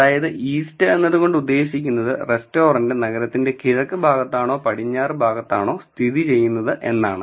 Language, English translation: Malayalam, So, east is whether the restaurant is located on the east or west side of the city